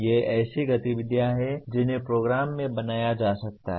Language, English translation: Hindi, These are the activities that can be built into the program